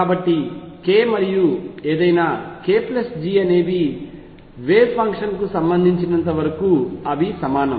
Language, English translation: Telugu, So, k and any k plus G are equivalent as far as the wave function is concerned